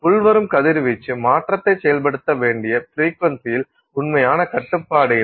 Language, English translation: Tamil, And therefore there is no real restriction on the frequency that needs that the incoming radiation needs to have to enable a transition